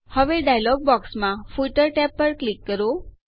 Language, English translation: Gujarati, Now click on the Footer tab in the dialog box